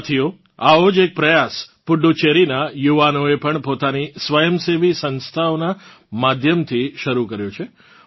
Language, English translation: Gujarati, Friends, one such effort has also been undertaken by the youth of Puducherry through their voluntary organizations